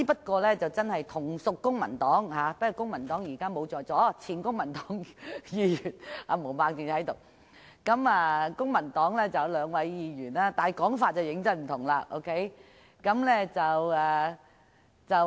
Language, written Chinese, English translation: Cantonese, 可是，同屬公民黨——他們現時不在席，只有前公民黨議員毛孟靜議員在席——有兩位議員的說法便相當不同。, However two Members belonging to the Civic Party who are not present now―only former Member of the Civic Party Ms Claudio MO is present now―hold opposite views